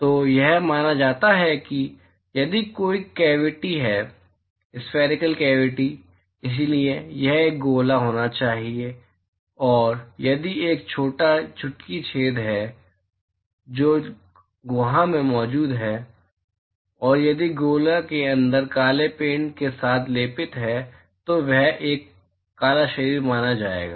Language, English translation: Hindi, So, it is believed that, if there is a cavity, spherical cavity; so, it has to be a sphere, and if there is a small pinch hole, which is present at the cavity, and if the inside of the sphere is coated with black, paint, then that is considered to be a black body